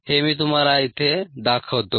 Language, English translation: Marathi, let me show this to you here